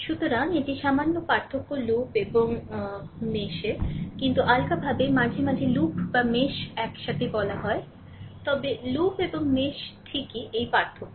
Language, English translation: Bengali, So, this is slight difference between loop and mesh, but loosely sometimes, we talk either loop or mesh, right, but this is the difference between the loop and mesh ok